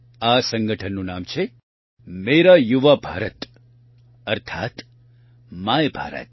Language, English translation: Gujarati, The name of this organization is Mera Yuva Bharat, i